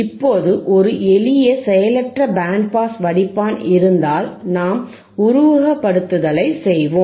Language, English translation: Tamil, Now if there is a simple passive band pass filter, then let us do the simulation